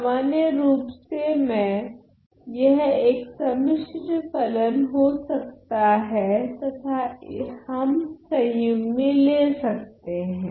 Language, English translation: Hindi, So, in general so, I can be a complex function and we can take conjugate ok